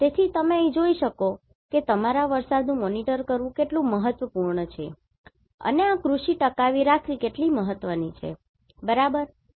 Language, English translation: Gujarati, So, here you can see how important it is to monitor your rain right and how important this agriculture is to survive, right